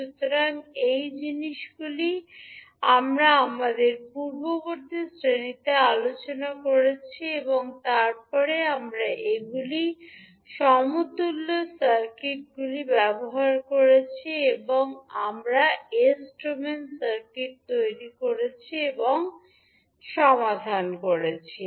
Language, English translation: Bengali, So, these things we discussed in our previous class and then we, utilized these, equivalent circuits and we created the circuit in s domain and solved it